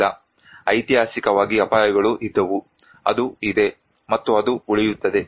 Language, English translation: Kannada, No, historically hazards were there, it is there and it will remain